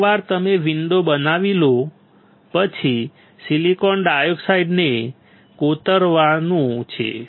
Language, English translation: Gujarati, Once you create a window the next would be to etch the silicon dioxide